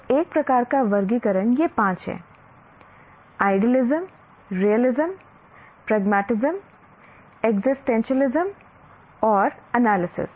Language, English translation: Hindi, So, one kind of classification is these five, idealism, realism, pragmatism, existentialism and analysis